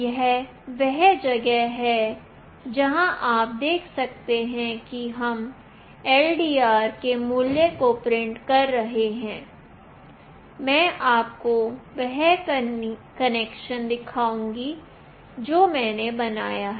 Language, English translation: Hindi, This is where you can see that we are printing the value of LDR, I will show you the connection that I have made